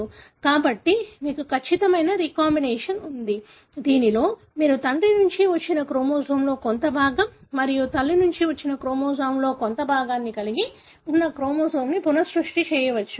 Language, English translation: Telugu, So, you have a perfect recombination, wherein you are able to recreate a new chromosome having part of chromosome that has come from father and part of the chromosome that has come from mother, but for the same chromosome